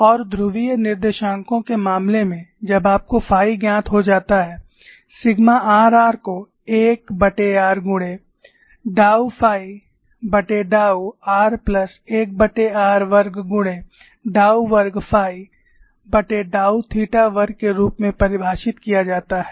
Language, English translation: Hindi, And in the case of polar coordinates, once you have sigma phi is known, sigma r r is defined as 1 by r tau phi by tau r plus 1 by r squared tau squared phi by tau theta squared, and sigma theta theta equal to tau squared phi tau r squared